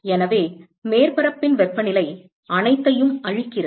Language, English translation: Tamil, So, that is the temperature of the surface cleared everyone